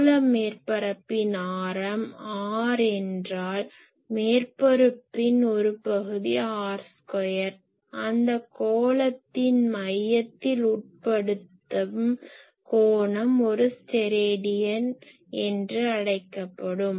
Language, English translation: Tamil, So, if this is a spherical surface of radius r , then an on the surface an area r square the angle it subtends at the centre that is called one Stedidian , that is the definition